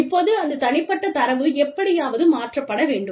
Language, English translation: Tamil, Now, that personal data, has to be transferred, somehow